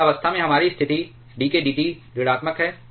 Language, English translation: Hindi, In that case our situation is dk dT is negative